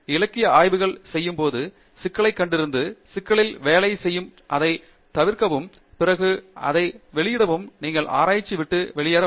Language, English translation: Tamil, You do literature survey, then you identify a problem, and work on the problem, you solve it, then you publish it, you get out